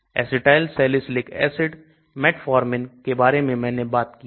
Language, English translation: Hindi, Acetylsalicyclic acid, metformin I talked about